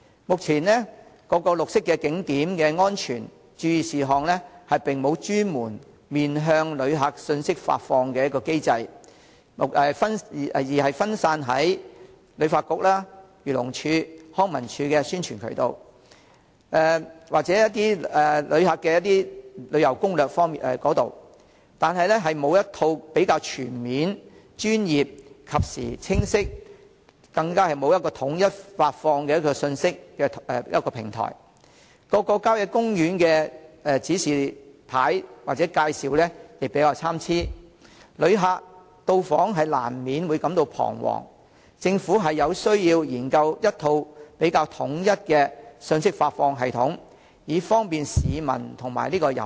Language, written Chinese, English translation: Cantonese, 目前各綠色景點的安全、注意事項並無專門面向遊客的信息發放機制，分散在旅發局、漁農自然護理署、康樂及文化事務署的宣傳渠道，以及遊客所寫的旅遊攻略，並沒有一套全面、專業、及時、清晰、統一的信息發放平台，各郊野公園的路線指示及介紹參差，旅客到訪難免感到彷徨，政府有需要研究一套統一的信息發放系統，以方便市民及遊客。, Such information is scattered in the publicity channels of HKTB the Agriculture Fisheries and Conservation Department and the Leisure and Cultural Services Department as well as travel tips written by tourists . Given the lack of a set of platforms for disseminating information in a comprehensive professional timely clear and unified manner and the varying quality of directional signs and information at various country parks visitors are inevitably perplexed . The Government needs to introduce a system to disseminate unified information so as to offer convenience to members of the public and tourists